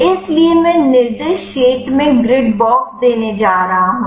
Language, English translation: Hindi, So, I am going to give the grid box in the specified area